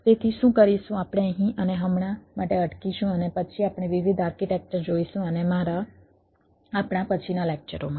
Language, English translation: Gujarati, we will stop here and for now, and then we will look at the different architecture and, in my, in our sub subsequent lectures